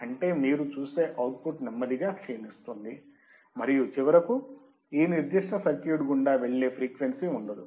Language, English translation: Telugu, That means, the output you will see is slowly fading down, and finally, there will be no frequency that can pass through this particular circuit